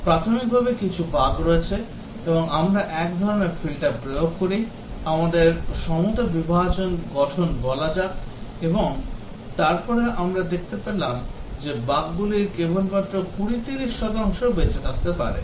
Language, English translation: Bengali, Initially there are some bugs and we apply one type of filter, may be let us say equivalence partitioning base test and then we find that some bugs are those bugs largely been eliminated only 20 30 percent surviving